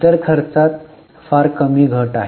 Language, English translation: Marathi, Other expenses very slight fall